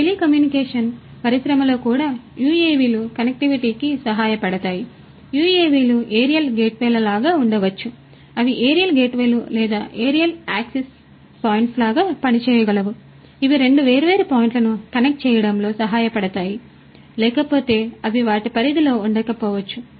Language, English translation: Telugu, In telecommunication industry also UAVs could help in connectivity, UAVs could be like you know aerial gateways, they could act like aerial gateways or aerial access points, which can help in connecting two different points which otherwise may not be within their range